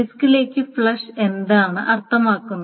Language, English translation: Malayalam, So what does flushing to the disk mean